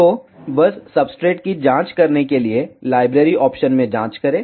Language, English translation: Hindi, So, just to check the substrate, check in the library option